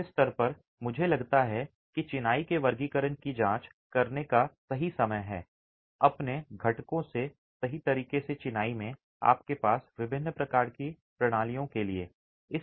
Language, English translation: Hindi, At this stage I think it is the right time to examine classification of masonry right from its constituents all the way to different types of systems you have in masonry